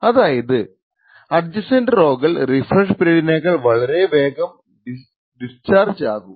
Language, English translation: Malayalam, In other words the adjacent rows would actually discharge much more faster than the refresh period